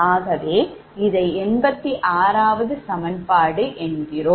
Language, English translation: Tamil, so this is equation eighty three